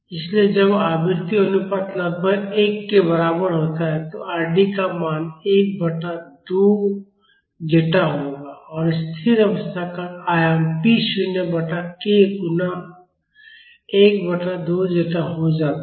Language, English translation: Hindi, So, when the frequency ratio is approximately equal to one the value of Rd would be 1 by 2 zeta and the steady state amplitude becomes p naught by k multiplied by 1 by 2 zeta